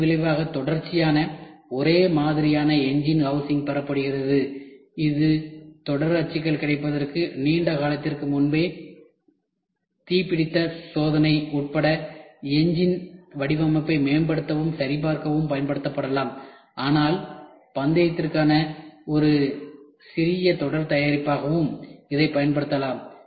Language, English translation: Tamil, As a result a series of identical engine housing is obtained it can be used to optimize and verify the engine design, including fire fired testing run long before series molds are available but also as a small series product for racing it can be used